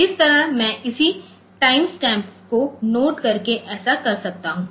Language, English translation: Hindi, So, that way I can do this by noting down the corresponding time stamps